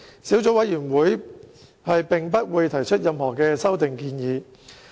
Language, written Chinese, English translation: Cantonese, 小組委員會並不會提出任何修正案。, The Subcommittee will not propose any amendments